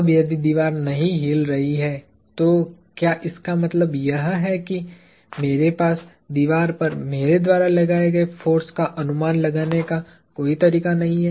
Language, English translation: Hindi, Now, if the wall is not moving, does that mean I have no way of estimating the force exerted by me on the wall